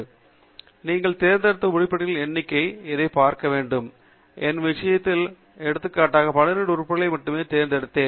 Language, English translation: Tamil, So, you should see this with the number of items that you have selected; in my case, I have selected only 12 items for illustration